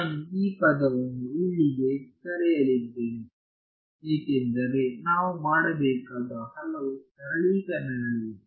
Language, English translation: Kannada, So, I am going to call this term over here as another there are many many simplifications that we need to do